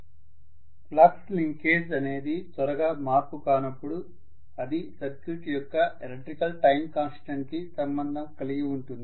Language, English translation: Telugu, When the flux linkage is not changing quickly,is it related to electrical time constant of the circuit